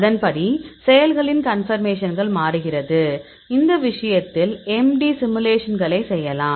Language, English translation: Tamil, Accordingly the conformation of actives it also change; so in this case you can do MD simulations